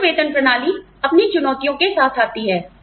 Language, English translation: Hindi, Open pay system comes with its own challenges